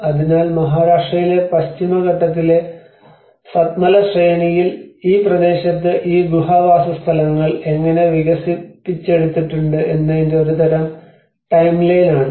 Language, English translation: Malayalam, So, that is a kind of timeline of how these cave dwellings have been developed in this region in the Satmala range of Western Ghats in Maharashtra